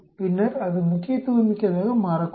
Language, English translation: Tamil, Then it may become significant